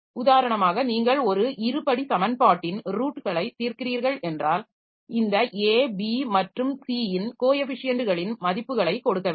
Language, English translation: Tamil, Like for example, if you are solving the roots of a quadratic equations, then you have to give the values of this coefficients A, B, and C